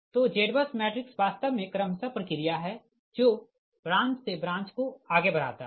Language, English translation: Hindi, so z bus matrix actually just step by step procedure which proceeds branch by branch, right